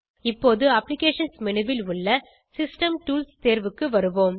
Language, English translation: Tamil, Now, we will come to the System Tools option available under Applications menu